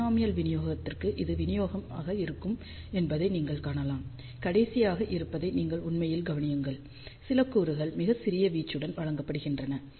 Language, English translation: Tamil, For binomial distribution you can see this will be the distribution, and you can actually notice that the last few elements are fed with very very small amplitude